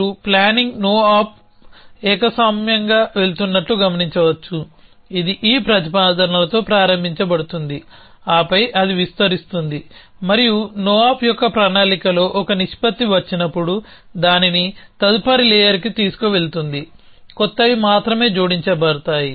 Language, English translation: Telugu, As you can observe the planning op is going monotonically essentially it is start with these propositions then it expands and because whenever a proportion gets into the planning of a no op will take it to the next layer, only new ones will be added